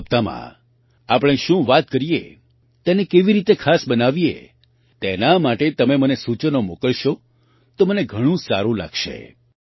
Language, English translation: Gujarati, I would like it if you send me your suggestions for what we should talk about in the 100th episode and how to make it special